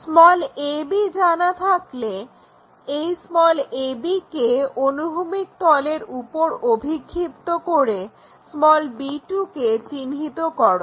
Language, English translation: Bengali, Once, we know use a b, project it back this a b onto horizontal plane to locate b 2